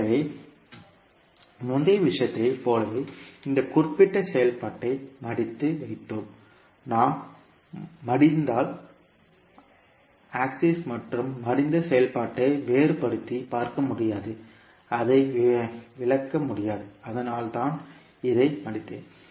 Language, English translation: Tamil, So like in the previous case what we did that we folded this particular function, if we fold we will not be able to differentiate between original and the folded function and we will not be able to explain it so that is why I folded this function